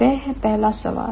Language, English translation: Hindi, That's the first question